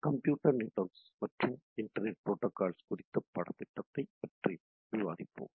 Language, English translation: Tamil, So, we will be discussing on the course on Computer Networks and Internet Protocol